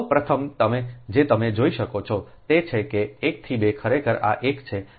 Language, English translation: Gujarati, so, first, what you can, what you can see, is that one to two, actually this is one, this is two